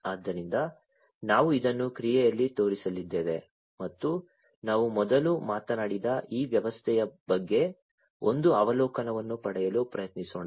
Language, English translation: Kannada, So, we are going to show this in action and let us try to first get an overview about this system that we talked about